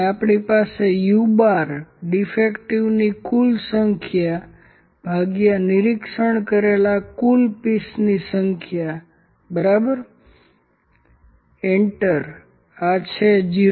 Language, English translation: Gujarati, And we have u bar this is equal to total number of defects divided by total number of pieces which are inspected, enter, this is 0